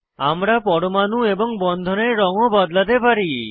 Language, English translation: Bengali, We can also change the colour of atoms and bonds